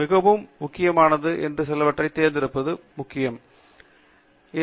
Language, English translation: Tamil, Its very important to pick only few that are very important